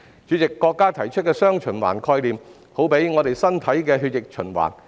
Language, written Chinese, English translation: Cantonese, 主席，國家提出的"雙循環"，好比我們身體的血液循環。, President the dual circulation proposed by the country is tantamount to blood circulation of our body